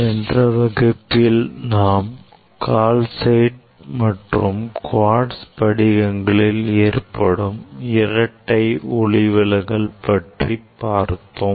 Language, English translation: Tamil, In last class we have discuss about the double refraction in calcite crystal as well as quartz crystal